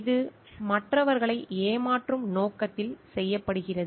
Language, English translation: Tamil, It is done with the intention to deceive others